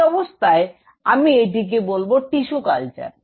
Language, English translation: Bengali, In that situation, I will call it a tissue culture